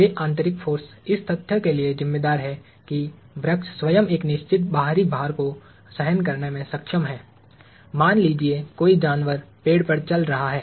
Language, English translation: Hindi, Those internal forces are responsible for the fact that the tree itself is able to bear a certain external load; let us say an animal walking on the tree